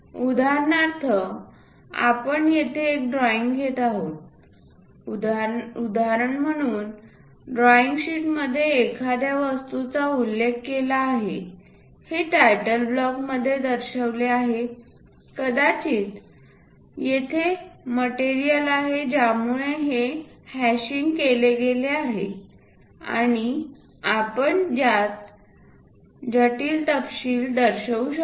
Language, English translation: Marathi, For example, here we are taking a drawing an example drawing sheet where an object is mentioned, the title block perhaps material is present there that is the reason this hashing is done and the intricate details we would like to show